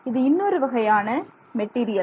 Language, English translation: Tamil, So, this is another type of material